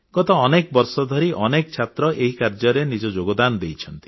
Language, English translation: Odia, For the past many years, several students have made their contributions to this project